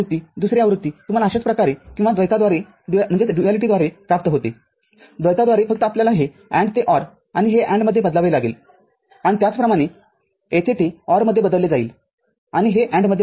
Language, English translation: Marathi, Another version you get similarly or through duality through duality just you have to change this AND to OR and, this to AND and similarly, here it will change to OR and this will change to AND